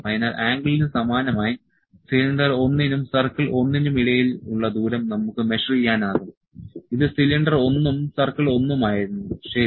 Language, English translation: Malayalam, So, similar to the angle, we can also measure the distance between cylinder 1 and circle 1 between the cylinder 1 this is the cylinder1 this was cylinder 1 and circle 1, ok